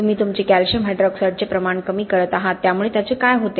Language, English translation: Marathi, When you lower calcium hydroxide what is going to happen